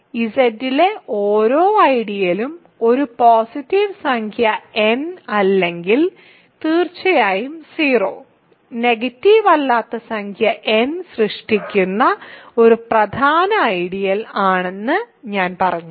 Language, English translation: Malayalam, So, I just to preview what I will do next, but I said that every ideal in Z is a principal ideal generated by a positive integer n or of course 0, non negative integer n I should say